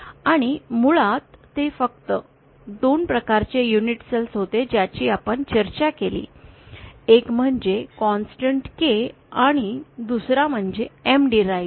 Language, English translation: Marathi, And basically they were just 2 types of unit cells that we discussed, one was the constant K and the other was M derived